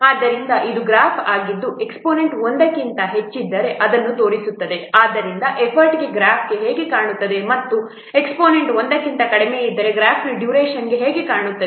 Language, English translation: Kannada, So this is a graph which shows that if the exponent is greater than one, so how this part graph look like for the effort and if the exponent is less than one how the graph is look like for the duration